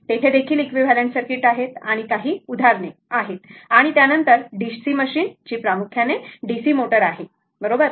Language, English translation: Marathi, There also, up to equivalent circuit and few examples and after that DC machine that is DC motor mainly, right